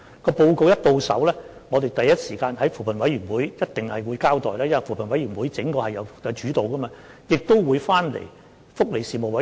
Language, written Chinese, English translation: Cantonese, 在收到報告後，我們必定會第一時間在扶貧委員會作交代，因為是扶貧委員會作主導的，也會提交福利事務委員會。, After receiving the report we will definitely brief CoP at the earliest opportunity as CoP plays a leading role and the report will also be submitted to the Panel on Welfare Services